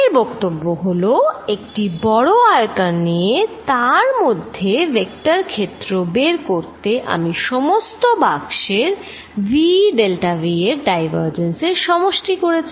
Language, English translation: Bengali, What it says, is that given a volume large volume and vector field through this I did this summation divergence of v delta v over all boxes